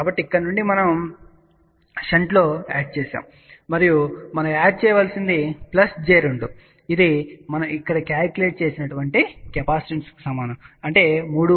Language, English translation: Telugu, So, from here we have added in shunt and what we added to added plus j 2 which is equivalent to the capacitance which we have calculated here